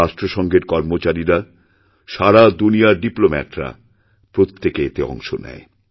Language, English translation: Bengali, The staff of the UN and diplomats from across the world participated